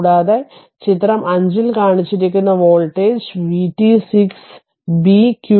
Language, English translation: Malayalam, And the voltage v t shown in figure 5 this 6 b